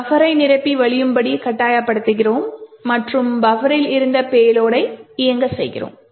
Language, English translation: Tamil, We force the buffer to overflow and the payload which was present in the buffer to execute